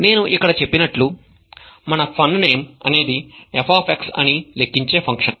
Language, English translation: Telugu, So as I had said here, our fun name is a function that calculates f of x